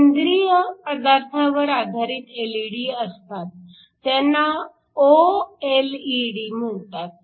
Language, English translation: Marathi, You can also have LED's based upon organic materials these are called OLED's